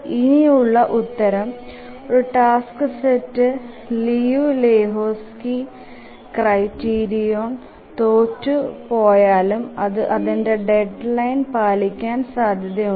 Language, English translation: Malayalam, The answer to this is that even when a task set fails the Liu Lejou Lehchkis criterion, still it may be possible that it may meet its deadline